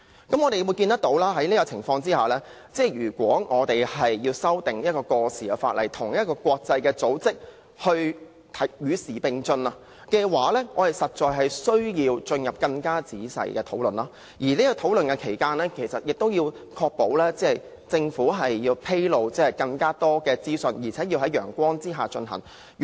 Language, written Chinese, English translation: Cantonese, 在這情況之下，我們要修訂一項過時的法例，與國際組織的標準與時並進的話，我們實在需要進行更仔細的審議，而其間亦要確保政府披露更多資訊，在陽光之下進行討論。, Under such circumstances if an obsolete piece of legislation is to be amended to enable it to keep abreast of the standards set by an international organization it is imperative for us to examine the Bill more carefully . And in the meanwhile we must ensure that the Government discloses more information to enable the discussions to be held under the sun